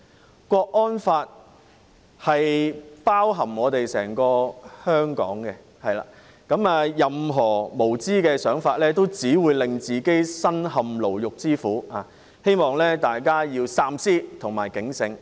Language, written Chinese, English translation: Cantonese, 港區國安法包含整個香港，任何無知的想法只會令自己身陷牢獄之苦，希望大家三思及警醒。, The Hong Kong national security law covers the entire Hong Kong and any senseless thought will only make one end up behind prison bars . I hope that people will think twice and be alert